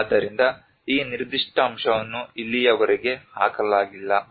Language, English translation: Kannada, So this particular aspect has not been laid so far